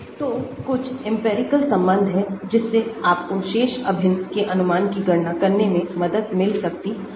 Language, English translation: Hindi, so there are certain empirical relation so which can help you to calculate estimate the ones remaining integrals